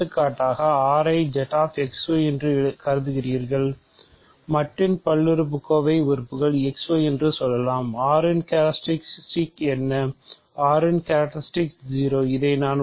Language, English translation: Tamil, For example you consider R to be Z X Y let us say modulo the element polynomial X Y